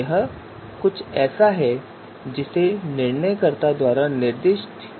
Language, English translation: Hindi, So this is something that is to be specified by the decision maker